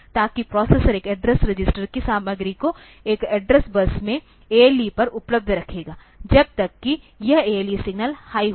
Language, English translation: Hindi, So, that the processor will keep the content of this address register available on the ALE on this address bus, till this ALE signal is high